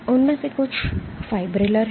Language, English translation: Hindi, Some of them are fibrillar